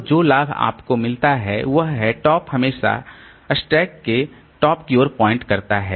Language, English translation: Hindi, So the advantage that you get is that top is always pointing to the top of the stack